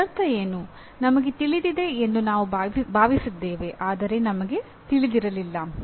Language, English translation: Kannada, That means what we thought we knew, we did not know